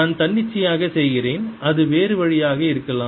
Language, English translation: Tamil, i am just making arbitrarily could be the other way